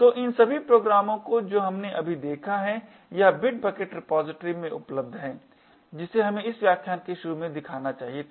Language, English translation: Hindi, So, all of these programs that we have just seen is available in the bitbucket repository which we should have shown at the start of this lecture